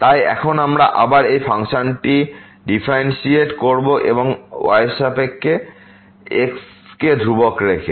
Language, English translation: Bengali, So now we will again differentiate this function with respect to keeping constant